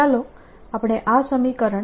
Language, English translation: Gujarati, now let us look at the equation